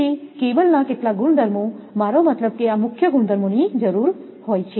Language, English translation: Gujarati, So, some properties of cable some I mean these are the properties require main properties